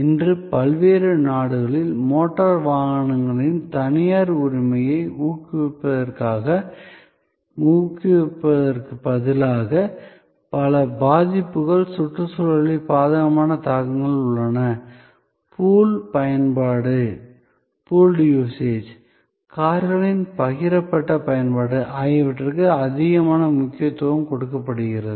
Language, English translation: Tamil, In various countries today instead of encouraging private ownership of motor vehicles, which has number of impacts, adverse impacts on the environment, there is an increasing emphasize on pooled usage, shared usage of cars